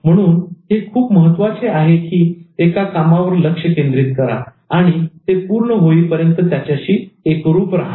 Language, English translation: Marathi, So it's very important to focus on an activity and stick to it till its completion